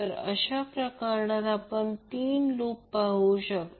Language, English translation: Marathi, Now, in this case, we see there are three loops